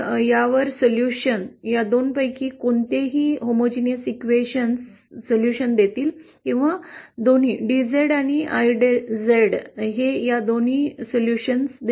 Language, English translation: Marathi, The solution of these, any of these 2 homogeneity questions will give solution or both, DZ and IZ